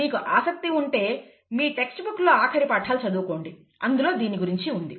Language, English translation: Telugu, If you are interested you can go and read later chapters of your textbook, it does talk about that